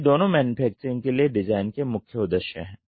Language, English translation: Hindi, So, these two are the main objectives of design for manufacturing